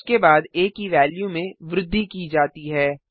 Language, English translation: Hindi, After that the value of a is incremented